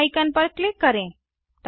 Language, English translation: Hindi, Click on the Save icon